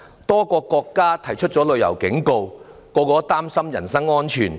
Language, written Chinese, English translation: Cantonese, 多個國家發出旅遊警告，所有人均擔心人身安全。, Various countries have issued travel warnings . Everyone worries about personal safety